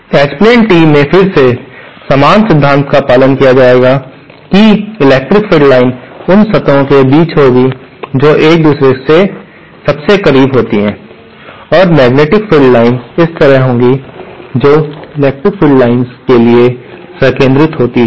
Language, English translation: Hindi, In H plane tee again, the same principle will be followed that the electric field lines are between the surfaces which are closest to each other and the magnetic field lines will be like this, concentric to the electric fields